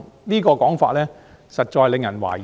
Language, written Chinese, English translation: Cantonese, 這種說法實在令人懷疑。, This assertion is indeed questionable